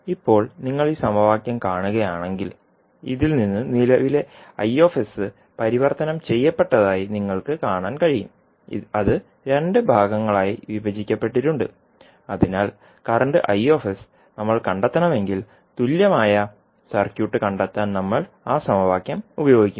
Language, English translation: Malayalam, Now, if you see this equation so from this you can see that current i s is converted, is divided into two parts so we will use that equation to find out the equivalent circuit in case of we want to find out current i s